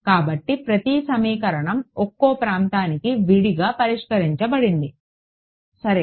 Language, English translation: Telugu, So, each equation solved separately for each region ok